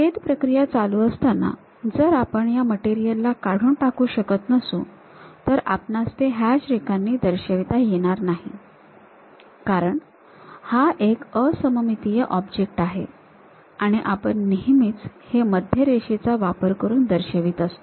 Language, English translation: Marathi, If this during the slicing, if we are not in a position to remove that material then we do not show it by hatched lines; because this is a symmetric object we always show it by center line information